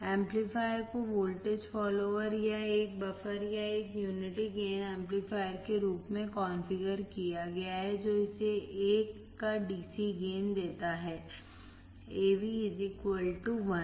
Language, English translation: Hindi, The amplifier is configured as a voltage follower or a buffer or a unity gain amplifier giving it a DC gain of 1; AV=1